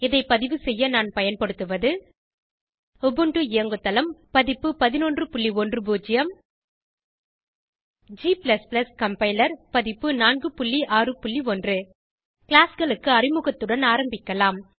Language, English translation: Tamil, To record this tutorial, I am using Ubuntu OS version 11.10 g++ compiler version 4.6.1 Let us start with the introduction to classes